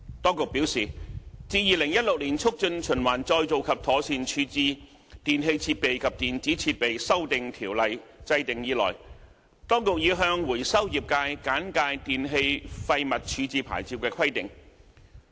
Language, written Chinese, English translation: Cantonese, 當局表示，自《2016年促進循環再造及妥善處置條例》制訂以來，當局已向回收業界簡介電器廢物處置牌照的規定。, The Administration advised that the recycling trade had been briefed on the licensing requirements in respect of e - waste since the enactment of the Amendment Ordinance